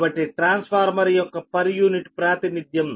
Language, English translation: Telugu, so per unit representation of transformer